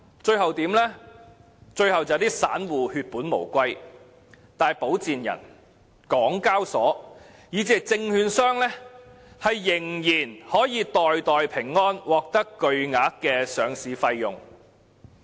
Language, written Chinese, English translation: Cantonese, 最後，散戶血本無歸，但保薦人、港交所以至證券商仍可袋袋平安，獲得巨額的上市費用。, Ultimately small investors will suffer huge losses but sponsors HKEx and even securities brokers can still pocket exorbitant profits out of the listing of these new shares